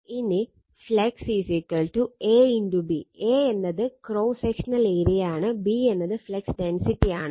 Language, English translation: Malayalam, Now, flux is equal to A into B; A is the cross sectional area, and B is the flux density